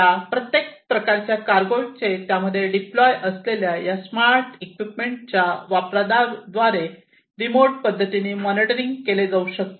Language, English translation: Marathi, And each of these different types of cargoes can be monitored and can be maintained remotely through the use of these smart equipments that are deployed in them